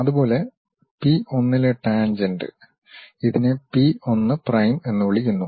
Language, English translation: Malayalam, Similarly, the tangent at p 1 which we are calling p 1 prime